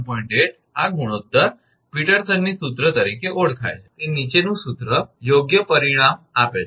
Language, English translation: Gujarati, 8 this ratio, the following formula known as Peterson’s formula gives better result